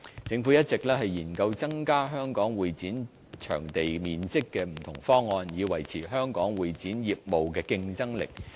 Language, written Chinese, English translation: Cantonese, 政府一直研究增加香港會展場地面積的不同方案，以維持香港會展業務的競爭力。, In order to maintain the competitive edge of Hong Kong in CE the Government has explored different options to increase CE area in Hong Kong